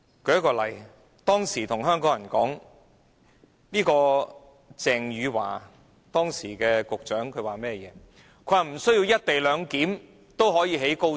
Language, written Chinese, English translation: Cantonese, 舉例來說，當時的運輸及房屋局局長鄭汝樺向香港人表示，不需要"一地兩檢"也可興建高鐵。, For example the then Secretary for Transport and Housing Eva CHENG told Hong Kong people that XRL could be built without the co - location arrangement